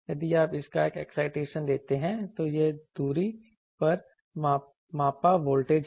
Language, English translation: Hindi, If you give an excitation of this, this is the measured voltage at a distance